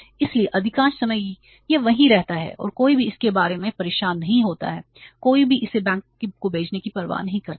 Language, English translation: Hindi, So, most of the time it remains there and nobody bothers about, nobody cares for sending it to the bank